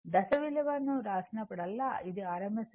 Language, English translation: Telugu, Whenever you write phase value that it is rms value